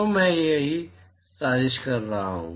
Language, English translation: Hindi, So, that is what I am plotting